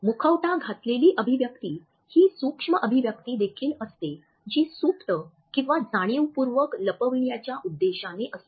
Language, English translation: Marathi, Masked expressions are also micro expressions that are intended to be hidden either subconsciously or consciously